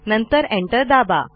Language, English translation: Marathi, And press enter